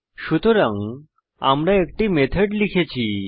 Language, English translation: Bengali, So we have written a method